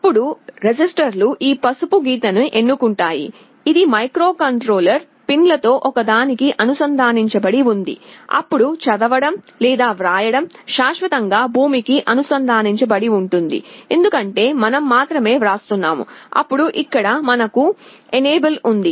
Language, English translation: Telugu, Then, we have the registers select this yellow line, which is connected to one of the microcontroller pins, then the read/write is permanently connected to ground, because we are only writing, then here we have the enable